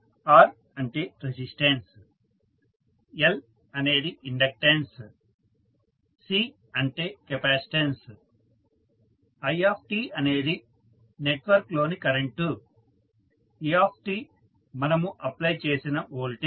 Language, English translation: Telugu, R is the resistance, L is the inductance, C is capacitance, t is the current in the network, et is the applied voltage